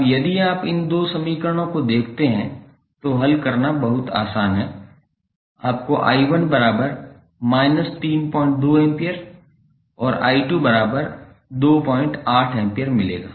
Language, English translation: Hindi, Now, if you see these two equations it is very easy to solve you get the value of i 1 as minus 3